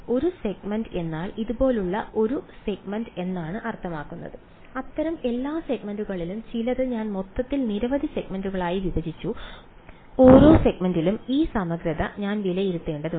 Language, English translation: Malayalam, A segment means a segment like this and some over all such segments I have broken up the whole thing into several segments, I have to evaluate this integral over each segment